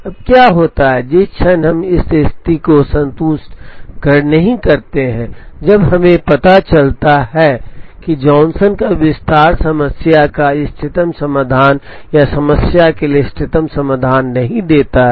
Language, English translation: Hindi, Now, what happens is, the moment we do not satisfy this condition, when we realize that the Johnson’s extension does not give the optimum solutions to the problem or optimum makespan to the problem